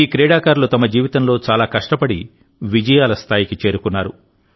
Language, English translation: Telugu, These players have struggled a lot in their lives to reach this stage of success